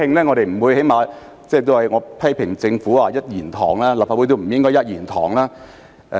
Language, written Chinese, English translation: Cantonese, 我曾批評政府是一言堂，立法會亦不應是一言堂。, I have criticized that the Government has just one voice and that the Legislative Council should not have just one voice